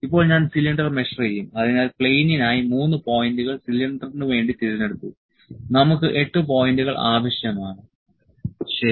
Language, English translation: Malayalam, Now, I will measure the cylinder, so; 3 points for plane was selected for cylinder we need 8 points, ok